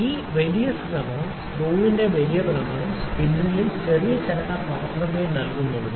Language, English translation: Malayalam, So, this large rotation large rotation of screw; only brings small movement in our spindle